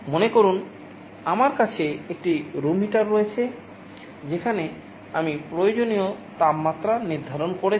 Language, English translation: Bengali, Suppose I have a room heater where I have set a required temperature